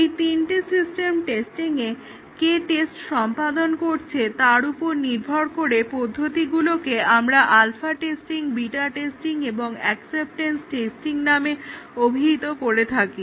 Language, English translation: Bengali, So, these are all these three are system testing and depending on who carries out the testing, we call it as alpha testing, beta testing or acceptance testing